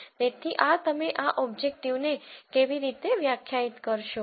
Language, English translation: Gujarati, So, this is how you will de ne this objective